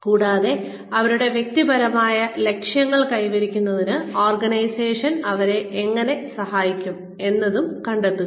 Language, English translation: Malayalam, And, how the organization, in turn will help them, achieve their personal goals